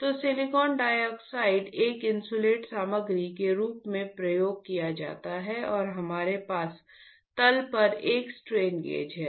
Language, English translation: Hindi, So, silicon dioxide is used as an insulating material and we have a strain gauge on the bottom